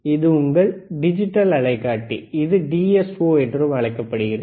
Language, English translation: Tamil, This is your digital oscilloscope, right it is also called DSO,